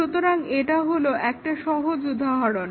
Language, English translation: Bengali, So, this is one simple example